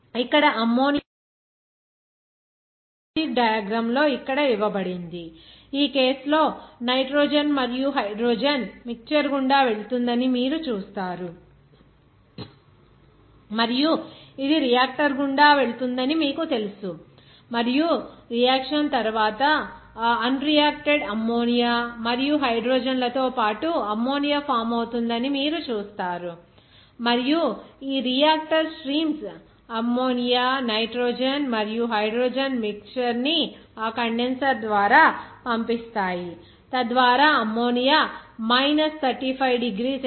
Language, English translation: Telugu, Here, on a schematic diagram of this production of ammonia is given here like, in this case, you will see that nitrogen and hydrogen will be passed through a mixture and you know it will be passed through a reactor and after reaction, you will see that ammonia will be formed along with that unreacted ammonia and hydrogen and these outlets streams of reactor that mixture of ammonia, nitrogen and hydrogen it will be passed through that condenser so that that ammonia will be condensed at minus 35 degree centigrade and then you can get the liquid ammonia there